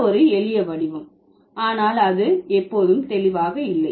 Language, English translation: Tamil, So, in this case, this is a simpler thing, but it is not that clear always